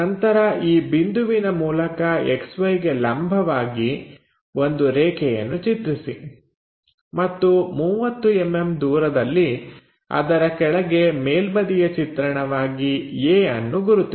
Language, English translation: Kannada, Then through this point draw a perpendicular line to XY and mark the top view at a at a distance 30 mm below it